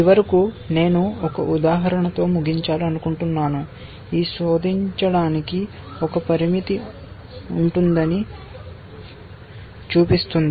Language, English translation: Telugu, And finally, I want to end with an example, which shows that there can be a limitation to search